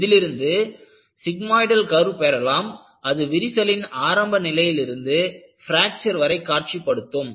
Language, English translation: Tamil, And, from this, you try to get a sigmoidal curve, which shows from crack initiation to fracture